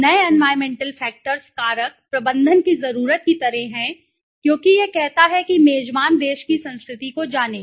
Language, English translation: Hindi, The new environmental factors are like the management needs to as it says learn the culture of the host country